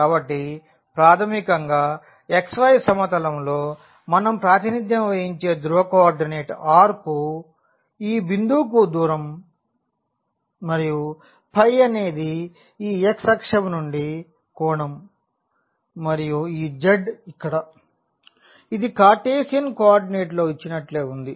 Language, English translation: Telugu, So, basically in the xy plane we are represented by the polar coordinate r is the distance to this point and phi is the angle from this x axis and this z here; it is the same as the given in the Cartesian coordinate